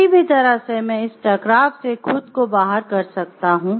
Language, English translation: Hindi, Either way I can make myself out of this conflict